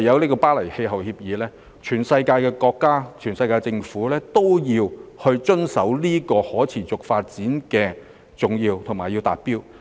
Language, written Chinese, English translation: Cantonese, 在《巴黎協定》下，世界各地政府都要遵守和達到可持續發展的重要指標。, Under the Paris Agreement governments around the world are required to comply with and meet the key targets of sustainable development